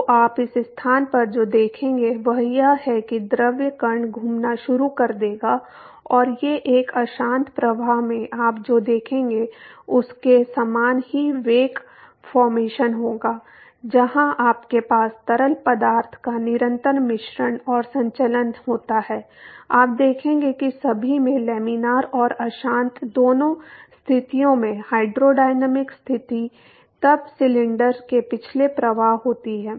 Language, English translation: Hindi, So, what you will see in this location is that the fluid particle will start rotating and these there will be wake formation similar to what you would see in a turbulent flow where you have constant mixing and circulation of fluid you will see that in all the hydrodynamic conditions both laminar and turbulent conditions then there is flow past cylinder